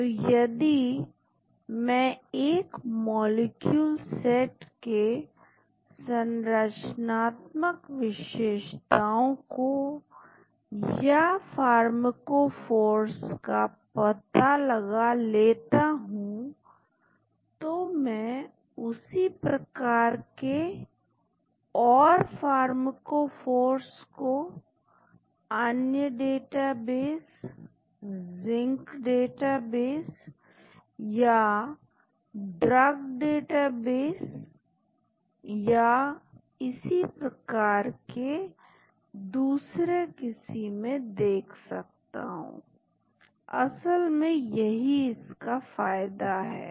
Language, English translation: Hindi, So, if I find out the structural features or pharmacophores of a set of molecules, I can look for similar pharmacophores in the various database Zinc database or Drug database and so on actually that is the advantage of it